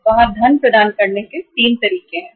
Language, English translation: Hindi, There are the 3 modes of providing the funds